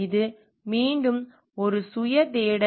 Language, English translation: Tamil, This is again a self search